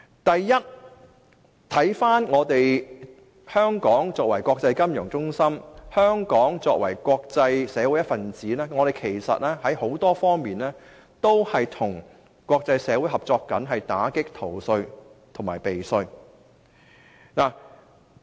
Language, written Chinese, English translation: Cantonese, 第一，香港作為國際金融中心及國際社會的一分子，在很多方面都與國際社會合作打擊逃稅和避稅。, First Hong Kong being an international financial centre and a member of the international community works closely with the international community to combat tax evasion and tax avoidance in various respects